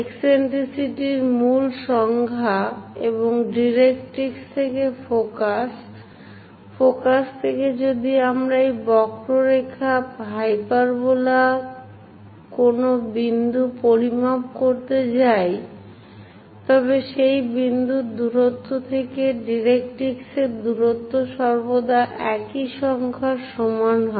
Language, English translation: Bengali, The basic definition of this eccentricity and focus from the directrix is, from focus if we are going to measure any point on that curve hyperbola that distance to the distance of that point to the directrix always be equal to the same number